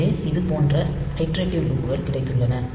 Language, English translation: Tamil, So, with we have got iterative loops like this